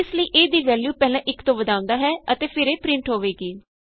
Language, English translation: Punjabi, So the value of a is first incremented by 1 and then it is printed